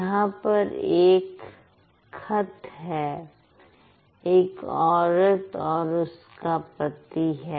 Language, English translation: Hindi, There's a woman and her husband